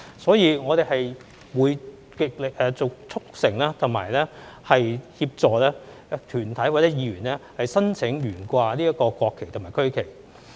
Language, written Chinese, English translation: Cantonese, 所以，我們會極力促成和協助團體或議員申請懸掛國旗和區旗。, Therefore we will strongly encourage and help organizations or council members to apply for flying the national flag and regional flag